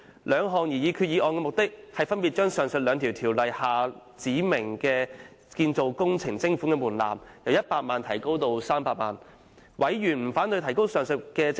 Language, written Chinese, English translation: Cantonese, 兩項擬議決議案的目的，是分別將上述兩項條例下指明就建造工程徵款的門檻，由100萬元提高至300萬元。, The purpose of the two proposed resolutions is to revise the respective levy thresholds set for construction operations under the two aforesaid ordinances from 1 million to 3 million